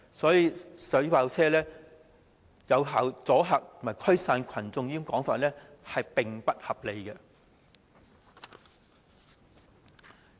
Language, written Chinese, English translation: Cantonese, 所以，水炮車能有效阻嚇和驅散群眾的說法並不成立。, Thus the argument that water cannon vehicles are effective in deterring and dispersing protesters does not hold water